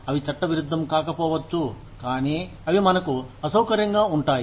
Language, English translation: Telugu, They may not be unlawful, but they are definitely uncomfortable, for us